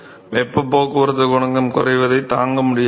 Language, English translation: Tamil, So, it is not able to with stand the decrease in the heat transport coefficient